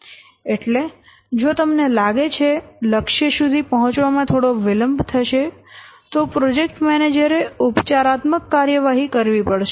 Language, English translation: Gujarati, So, if you are expecting that there will be a some delay in reaching the milestone, then the project manager has to take some remedial action